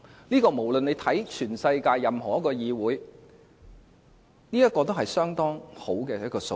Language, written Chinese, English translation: Cantonese, 這與全世界任何一個議會比較，也是相當好的數字。, The number looks promising when compared with any other parliament in the world